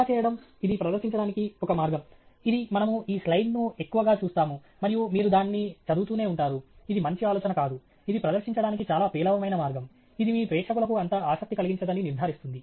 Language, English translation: Telugu, Doing this, this would be a one way of presenting it, which we will just look down on this slide and you keep on reading it; that’s not a good idea; it’s a very poor way of presenting; it more or less ensures that you don’t connect with your audience